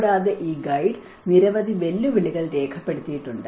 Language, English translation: Malayalam, And this guide have noted a number of challenges